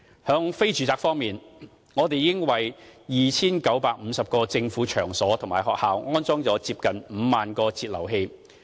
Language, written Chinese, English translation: Cantonese, 在非住宅方面，我們已為 2,950 個政府場所及學校安裝了接近5萬個節流器。, In the area of non - residential water consumption we have installed nearly 50 000 flow controllers for 2 950 government venues and schools